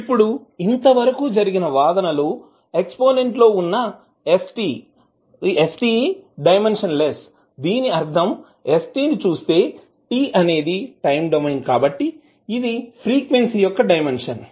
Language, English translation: Telugu, Now, since the argument st of the exponent should be dimensionless that means that if you see st, one t is the time domain, so s would be the dimension of frequency